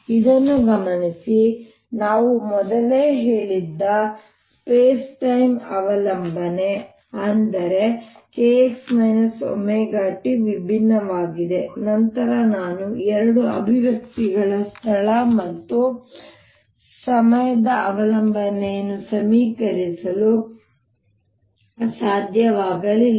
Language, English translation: Kannada, notice that ah, earlier i had said if the space time dependence that means k x minus omega t was different, then i could not have equated this space and time dependence of the two more explicitly